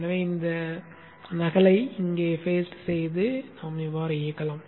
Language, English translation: Tamil, Now let us copy this and paste it here